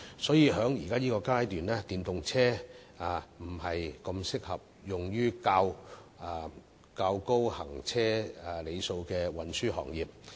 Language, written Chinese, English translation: Cantonese, 所以，在現階段，電動車並不適合用於較高行車里數的運輸行業。, So at this stage EVs are not suitable for use by transport industries that have a high driving mileage